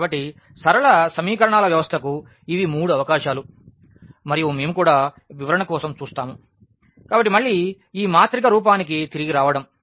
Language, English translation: Telugu, So, these are the 3 possibilities for system of linear equations we will also and we will also look for the interpretation; so again getting back to this matrix form